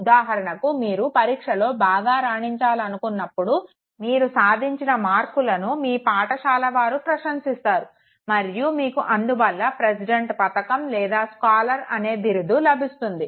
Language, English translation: Telugu, Say for instance you know that if you perform well in your exam your achievement score will be appreciated by your school and you will then receive say for instance president's medal or say a scholar batch